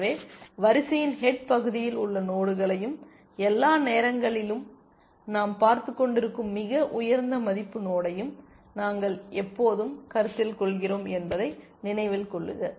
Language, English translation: Tamil, So, remember that we are always considering the nodes at the head of the queue and the highest value node we are looking at that all times